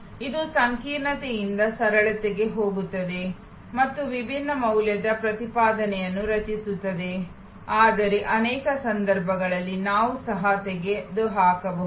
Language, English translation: Kannada, This is going from complexity to simplicity and creating different value proposition, but in many cases, we can even eliminate